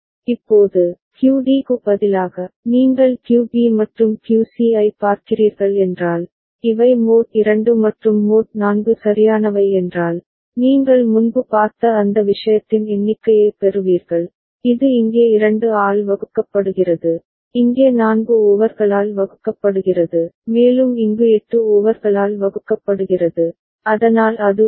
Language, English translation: Tamil, Now, instead of QD, if you are just looking at QB and QC, then these are mod 2 and mod 4 right, you will get a count of that thing you have seen that before, that it is a divided by 2 over here, divided by 4 over here, and divided by 8 over here ok, so that is the 1